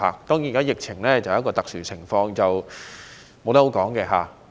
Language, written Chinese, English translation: Cantonese, 當然，現在的疫情是一個特殊情況，任誰也說不準。, Of course the current epidemic is a special situation which is anyones guess